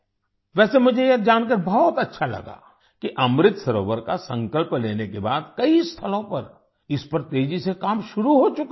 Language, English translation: Hindi, By the way, I like to learnthat after taking the resolve of Amrit Sarovar, work has started on it at many places at a rapid pace